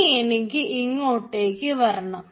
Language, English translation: Malayalam, now we need to go to this